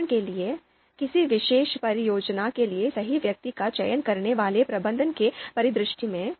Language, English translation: Hindi, For example, a manager selecting the right person for a particular project